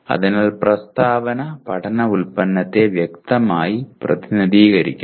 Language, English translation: Malayalam, So the statement should clearly represent the learning product